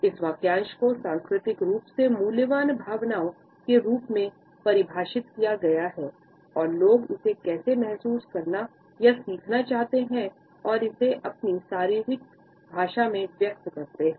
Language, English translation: Hindi, This phrase is defined as culturally valued emotions and how people want or learn to feel it and express it in their body language